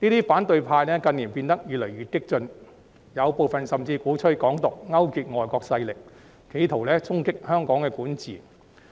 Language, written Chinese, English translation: Cantonese, 反對派近年變得越來越激進，部分人甚至鼓吹"港獨"、勾結外國勢力，企圖衝擊香港管治。, In recent years the opposition camp has become more and more radical . Some people even advocated Hong Kong independence and colluded with foreign forces in an attempt to undermine the governance of Hong Kong